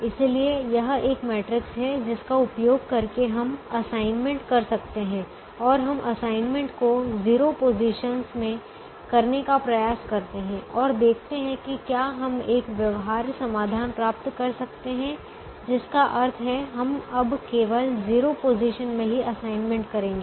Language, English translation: Hindi, therefore, this is a matrix using which we can make the assignments, and we try to make the assignments in zero positions and see whether we can get a feasible solution, which means we'll we'll now make assignments only in the zero positions and then see whether we can get four assignments, such that every row has one assignment and every column has one assignment